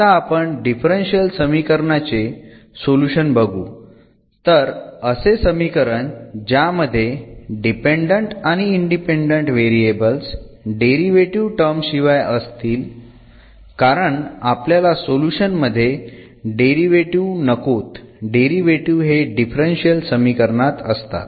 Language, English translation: Marathi, Now coming to the solution of the differential equation, so any relation between the dependent and independent variable without the derivative terms, because in the solution we do not want to see the derivatives, the derivatives will be in the equation in the differential equation